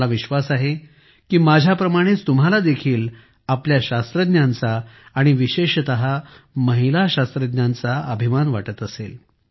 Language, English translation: Marathi, I am sure that, like me, you too feel proud of our scientists and especially women scientists